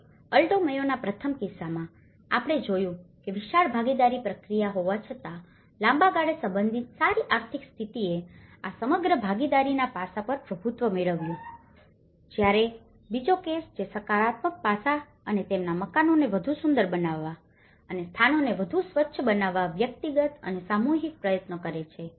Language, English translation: Gujarati, One is, in the first case of Alto Mayo, we see the despite of huge participation process but related in a long run, the better economic status have dominated this whole participation aspect whereas the individual and the collective, the second case which is a more of a positive aspect and the individual and collective efforts of making their houses more beautiful and making the places more hygiene